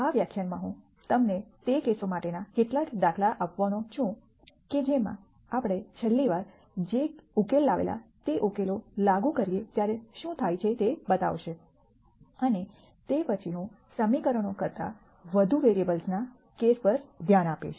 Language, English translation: Gujarati, In this lecture I am going to give you some examples for that case show you what happens when we apply the solution that we derived last time, and then after that I will go on to look at the case of more variables than equations